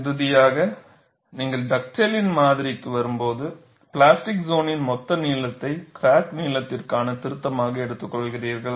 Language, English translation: Tamil, Finally, when you come to Dugdale’s model, you take the total length of the plastic zone as the correction for crack length